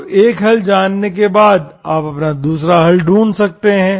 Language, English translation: Hindi, So then, you can find your other solution once you know one solution